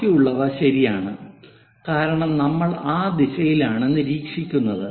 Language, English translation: Malayalam, The rest which is fixed, because we are observing in that direction